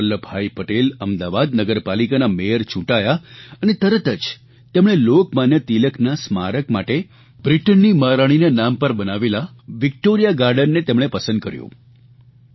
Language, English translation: Gujarati, Sardar Vallabh Bhai Patel was elected the Mayor of Ahmedabad municipal corporation and he immediately selected Victoria Garden as a venue for Lok Manya Tilak's memorial and this was the very Victoria Garden which was named after the British Queen